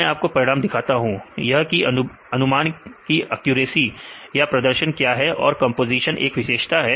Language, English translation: Hindi, I will show the results right what is a prediction accuracy or performance if you use the composition as the feature